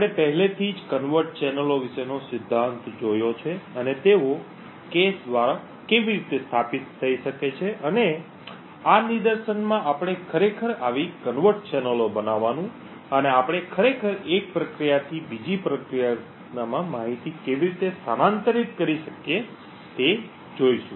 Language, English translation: Gujarati, In this particular demonstration we will look at covert channels, we have already seen the theory about covert channels and how they can be established through the cache and in this demonstration we will actually look at creating such a covert channel and how we could actually transfer information from one process to another